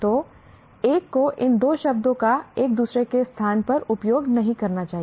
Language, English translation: Hindi, So, one should not use these two words interchangeably